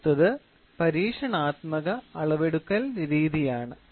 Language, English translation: Malayalam, And the last one is Experimental method of measurement